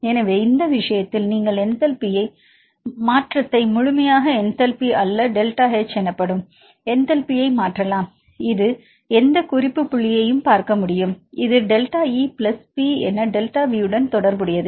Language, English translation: Tamil, So, in this case we can see the change in enthalpy not the absolute enthalpy you can change the enthalpy that is delta H, this can see with respect to any reference point this can be related as delta E plus P into delta V right because its change in volume and change in internal energy of the system